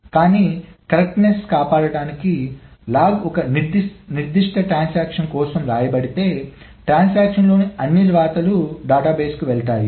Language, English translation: Telugu, But to maintain the correctness, there is to be a way of saying that if the log is written for a particular transaction, all the rights in the transaction have actually gone to the database